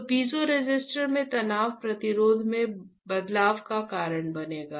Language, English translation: Hindi, So, the stress in the piezoresistor will cause change in resistance